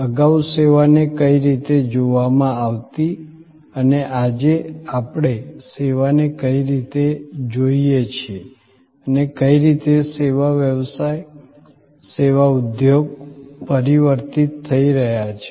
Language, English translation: Gujarati, What are services, how they were perceived earlier, how they are being perceived today and in what way service business, service industry is transforming today